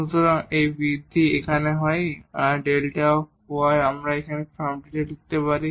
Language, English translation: Bengali, So, if this increment here delta y we can write down in this form